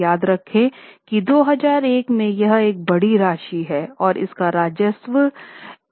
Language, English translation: Hindi, Remember, it's a big amount, especially in 2001, and the revenue was $139 billion